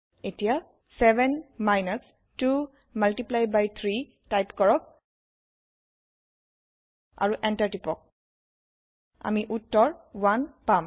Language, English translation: Assamese, Now type 7 minus 2 multiply by 3 and press Enter We get the answer as 1